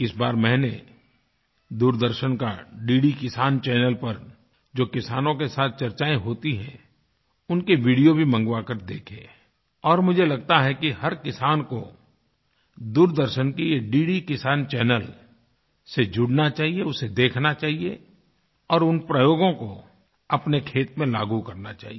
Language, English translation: Hindi, This time, I requisitioned and viewed videos of discussions with our farmers on DD Kisan Channel of Doordarshan and I feel that each farmer should get connected to this DD Kisan Channel of Doordarshan, view it and adopt those practices in his/ her own farm